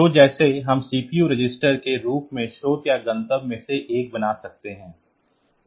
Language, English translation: Hindi, So, like that we can make one of the operands one of the source or destination as the CPU register